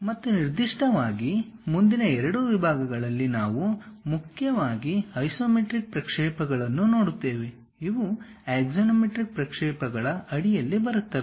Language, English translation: Kannada, And specifically in the next two two sections, we will look at isometric projections mainly; these come under axonometric projections